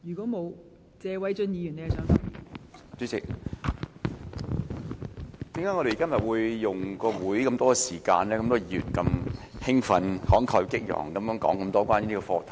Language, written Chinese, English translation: Cantonese, 代理主席，為何今天有那麼多議員花那麼多會議時間，如此興奮、慷慨激昂地談論這個課題？, Deputy President why do many Members spend so much time at this meeting speaking enthusiastically and fervently on this motion?